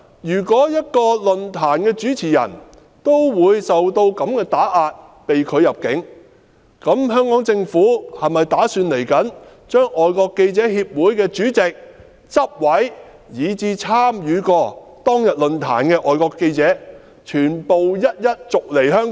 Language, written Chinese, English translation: Cantonese, 如果一個論壇的主持人也會受如此打壓，被拒入境，香港政府是否打算將外國記者會的主席、執委，以及參與過當日論壇的外國記者全部一一逐離香港？, If the host of a forum was subjected to suppression and was refused entry did the Hong Kong Government intend to expel FCCs President Committee Convenors and all foreign journalists who were present at the forum on that day?